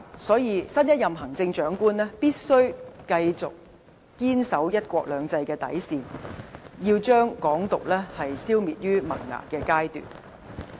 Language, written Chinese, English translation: Cantonese, 所以，新一任行政長官必須繼續堅守"一國兩制"的底線，要把"港獨"消滅於萌芽階段。, So the next Chief Executive must go on defending the bottom line of one country two systems and demolish Hong Kong independence in the nascent stage